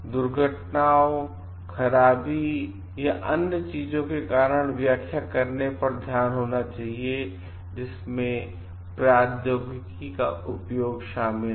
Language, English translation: Hindi, The focus should be on explaining the causes of accidents, malfunctions or other things that involve the usage of technology